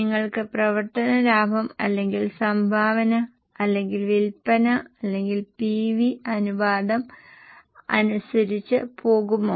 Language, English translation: Malayalam, Will you go by operating profit or contribution or sales or PV ratio